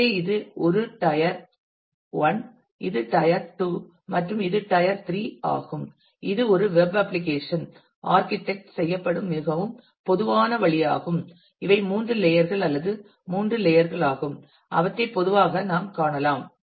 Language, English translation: Tamil, So, this is a tier 1 this is tier 2 and this is tier 3 which is a very typical way a web application will be architected and these are the three layers or three tiers that we will usually find